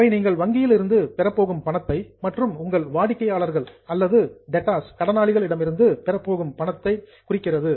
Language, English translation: Tamil, So, they represent something which you are going to receive from bank or something which you are going to receive from your customers or debtors